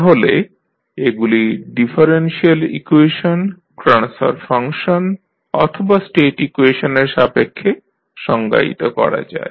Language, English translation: Bengali, So, they can be defined with respect to differential equations or maybe the transfer function or state equations